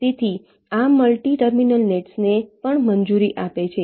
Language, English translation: Gujarati, so this allows multi terminal nets also